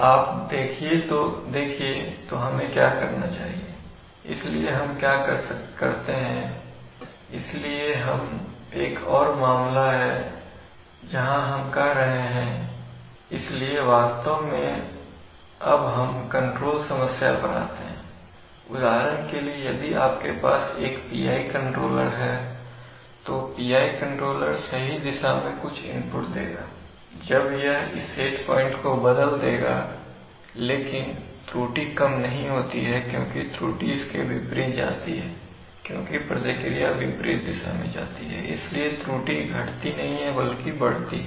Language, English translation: Hindi, So we cannot cancel the zero, you see, so what we must do is, so what do we do, so this is another case where we are saying, so actually now we come to the control problem, what happens in the, let us say for example if you have a PI controller then the PI controller will apply some input in the right direction, when it will change this, see the set point coming from coming, but the error does not decrease because the error goes in the opposite because the response goes in the opposite direction, so the error does not increase, it does not decrease but it increases